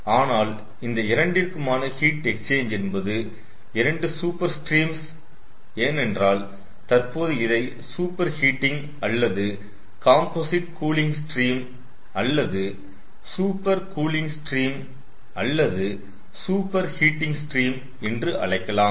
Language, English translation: Tamil, but even with this, ah heat exchange between these two, ah between the, these two super streams, because now the it can be called a super heating, super or composite cooling stream or super cooling stream, and this is a super heating stream